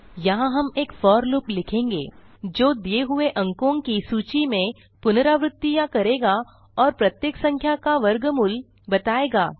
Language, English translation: Hindi, Write a for loop which iterates through a list of numbers and find the square root of each number